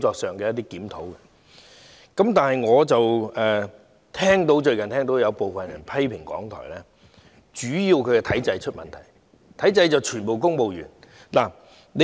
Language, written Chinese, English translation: Cantonese, 另一方面，我最近聽到有部分人批評港台，主要是指其體制出現問題，全部是公務員。, On the other hand I have recently heard some people criticize RTHK mainly referring to the problems with its establishment which is wholly made up of civil servants